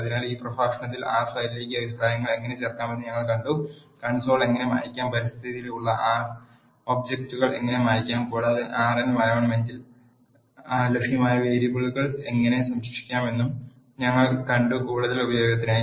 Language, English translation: Malayalam, So, in this lecture we have seen how to add comments to R file, how to clear the console and how to clear the R objects that are there in the environment and also we have seen how to save the variables that are available in the R environment for further use